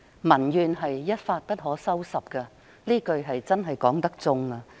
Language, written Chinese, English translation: Cantonese, 民怨一發不可收拾，這是千真萬確的。, It is absolutely true that once public grievances are aroused they can hardly be allayed